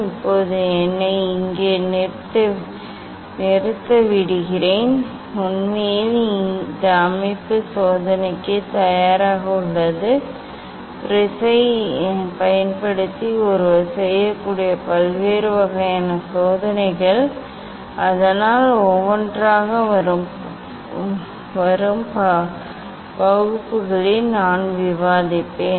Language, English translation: Tamil, let me stop here now, actually this setup is ready for the experiment different kind of experiment one can do using the prism so that one by one, I will discuss in coming classes